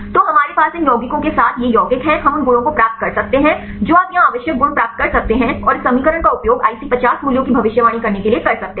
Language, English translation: Hindi, So, we have these compounds with these compounds we can get the properties you can get the necessary properties here and use this equation to predict the IC50 values